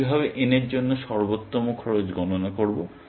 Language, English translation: Bengali, How do I compute best cost for n